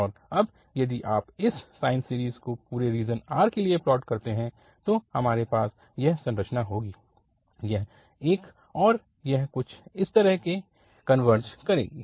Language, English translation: Hindi, And now, if you plot this sine series for the whole range of R, so we will have this structure again, this one and it will converge to something like this